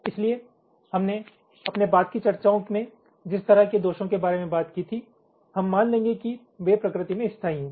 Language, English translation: Hindi, ok, so the the kind of faults that we talked about in our subsequent ah discussions, we will be assuming that there are permanent in nature